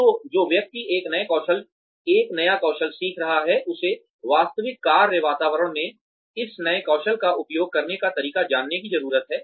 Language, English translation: Hindi, So, the person who is learning a new skill needs to know how to use this new skill, in the actual work environment